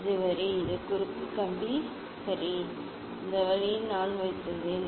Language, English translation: Tamil, This is the line, and this is the cross wire ok, this way I have put